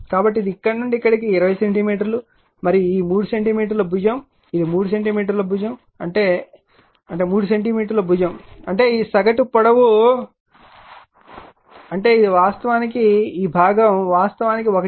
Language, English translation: Telugu, So, this is from here to here 20 centimeter and this 3 centimeter side, it 3 centimeter side means that is; that means, 3 centimeter side means this mean length; that means, this is actually this portion actually 1